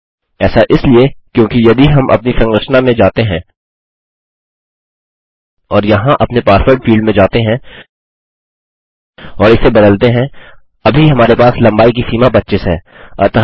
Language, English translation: Hindi, Thats because if we go to our structure and go down to our password field here and edit this, we have currently got a length of 25 as its limit